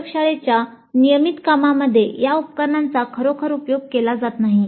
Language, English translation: Marathi, In the regular laboratory works these instruments are not really made use of